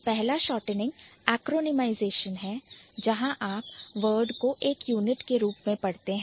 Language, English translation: Hindi, So, in one way, like the first shortening is acronymization where you are reading the word as a unit